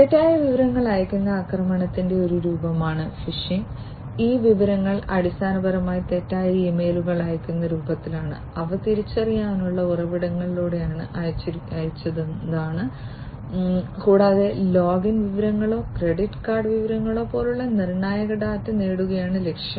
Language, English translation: Malayalam, Phishing is a form of attack where false information is sent, and these information are basically in the form of sending false emails, which have been sent through recognizable sources and the aim is to get critical data such as login information or credit card information and so on